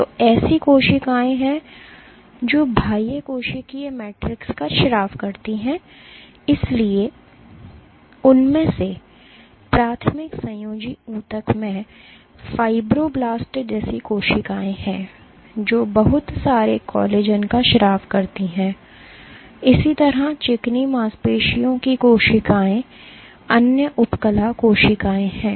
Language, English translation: Hindi, So, there are cells which secrete the extracellular matrix, so, primary among them is cells like fibroblasts in the connective tissue, which secret lot of collagen similarly smooth muscle cells are other epithelial cells ok